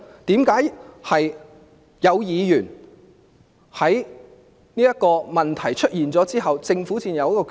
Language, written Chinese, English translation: Cantonese, 為何問題出現了之後，政府才有決定？, Why does the Government always come to a decision only after a problem has sprung up?